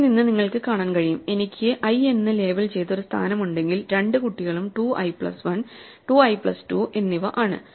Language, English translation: Malayalam, From this you can see that, if I have a position labeled i then the two children are read 2 i plus 1 and 2 i plus 2 right